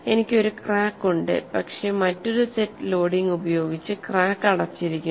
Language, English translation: Malayalam, I have a crack but the crack is closed by another set of loading which is same as no crack at present